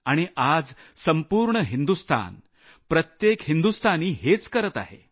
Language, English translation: Marathi, Today the whole of India, every Indian is doing just that